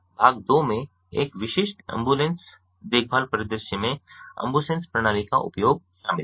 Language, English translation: Hindi, part two includes the use of the ambusens system in a typical ambulatory care scenario